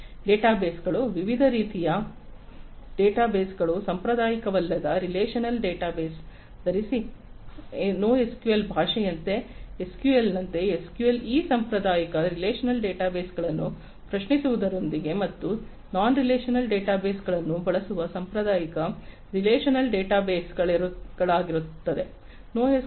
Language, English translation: Kannada, Databases, databases of different types non traditional database wearing non traditional relational database, like NoSQL language is there; like SQL, SQL is for the you know traditional relational databases use with querying this traditional relational databases and for non relational databases